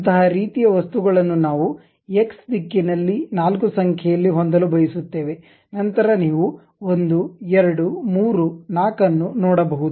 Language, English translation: Kannada, Such kind of objects we would like to have four in number in the X direction, then you can see 1 2 3 4